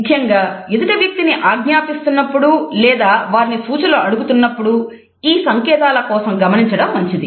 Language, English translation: Telugu, It is good to look for this if you are giving someone orders or asking their opinions